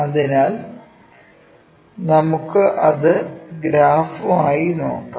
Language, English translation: Malayalam, So, let us look at that pictorially